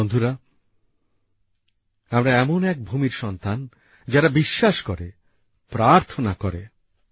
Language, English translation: Bengali, we are the people of a land, who believe and pray